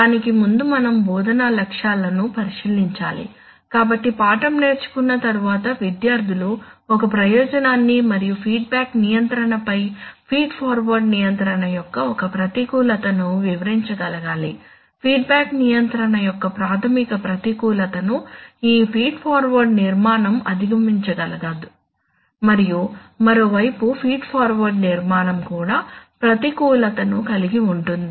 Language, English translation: Telugu, So, before we do that we have to take a look at the instructional objectives, so after learning the lesson the students should be able to, describe one advantage and one disadvantage of feed forward control over feedback control, there are some, there is a fundamental disadvantage of feedback control, so which is an, there is fundamental disadvantage of a feedback control which is overcome by this feed forward structure and on the other hand the feed forward structure also suffers from disadvantage which is overcome by feedback control